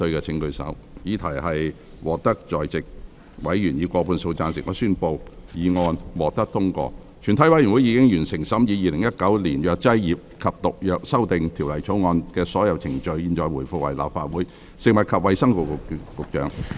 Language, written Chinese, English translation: Cantonese, 全體委員會已完成審議《2019年藥劑業及毒藥條例草案》的所有程序。現在回復為立法會。, All the proceedings on the Pharmacy and Poisons Amendment Bill 2019 have been concluded in committee of the whole Council